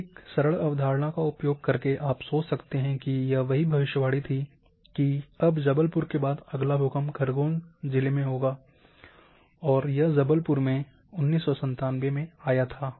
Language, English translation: Hindi, (Refer Slide time: 19:19) So, using a simpler concept you can think that this is what the prediction were there, that now the next earthquake after Jabalpur would occur in Khargon and this Jabalpur earthquake occurred in 1997